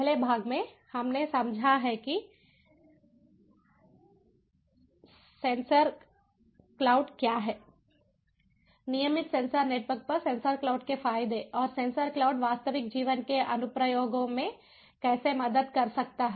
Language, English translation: Hindi, in the first part we have understood what is sensor cloud, the advantages of sensor cloud over regular sensor networks and how sensor cloud can help in real life applications